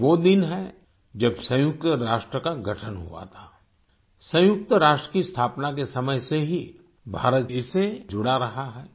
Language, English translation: Hindi, This is the day when the United Nations was established; India has been a member since the formation of the United Nations